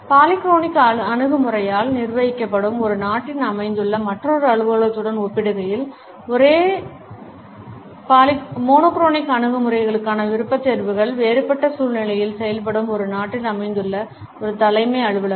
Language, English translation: Tamil, A head office situated in a country where the preferences for monochronic attitudes would work in a different atmosphere in comparison to another office which is situated in a country which is governed by the polychronic attitude